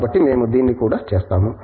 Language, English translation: Telugu, So, we do that also